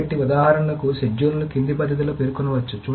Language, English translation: Telugu, So, for example, schedule can be simply specified in the following manner